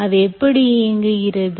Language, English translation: Tamil, how do you enable that